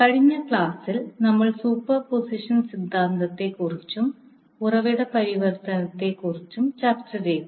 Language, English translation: Malayalam, Namaskar, so in the last class we discussed about Superposition Theorem and the source transformation